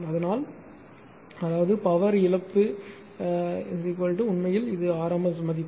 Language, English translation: Tamil, So; that means, power loss is equal to actually this is rms value